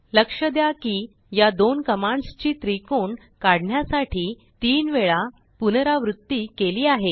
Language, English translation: Marathi, Note that these two commands are repeated thrice to draw a triangle